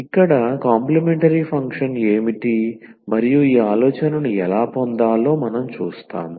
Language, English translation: Telugu, So, here what is the complementary function and how to get this idea we will; we will give now